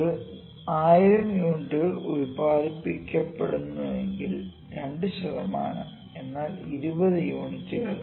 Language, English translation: Malayalam, Let me say if in a day 1000 units are produced if you are produced 1000 per day, 2 percent means 2 percent implies 20 this is 20 units, ok